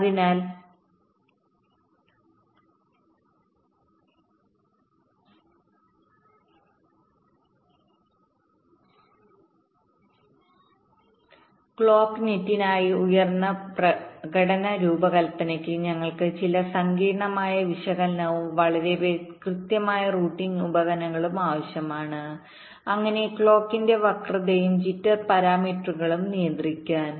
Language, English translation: Malayalam, ok, so for high performance design, particularly for the clock net, we need some sophisticated analysis and very accurate routing tools so as to control the skew and jitter ah parameters of the clock